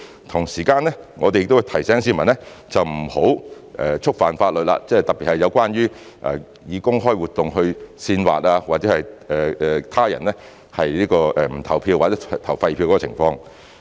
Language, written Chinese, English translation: Cantonese, 同時，我們亦會提醒市民不要觸犯法律，特別是有關藉公開活動煽惑他人不投票或投廢票的情況。, At the same time we will also remind members of the public not to break the law especially not to incite another person not to vote or to cast an invalid vote by way of public activity